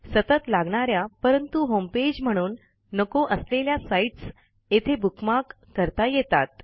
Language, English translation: Marathi, You can use the bookmarks bar for sites which you visit often, but dont want to have as your homepage